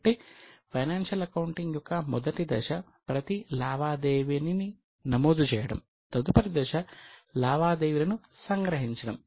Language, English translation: Telugu, So, the first step in financial accounting is recording of every transaction